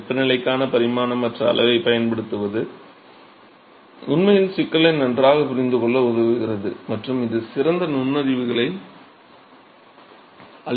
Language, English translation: Tamil, That using such a type of dimensionless quantity for temperature will actually helps in understanding the problem better and it gives much better insights